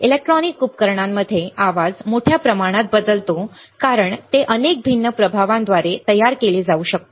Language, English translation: Marathi, Noise in electronic devices varies greatly as it can be produced by several different effects